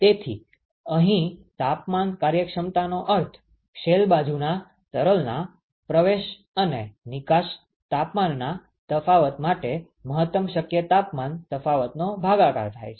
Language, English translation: Gujarati, So, here the temperature efficiency means the difference in the inlet and the outlet temperature of the shell side fluid divided by the maximum possible temperature difference ok